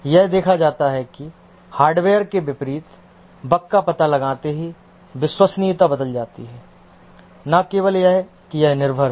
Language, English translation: Hindi, It's seen that the reliability changes as bugs are detected unlike the hardware and not only that it is observer dependent